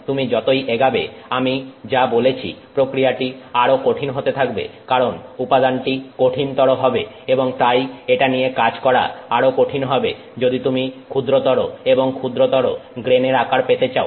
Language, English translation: Bengali, It is also as I mentioned it is also going to be difficult as you progress because the material is going to get stronger and more difficult to work with as you get to smaller and smaller grain sizes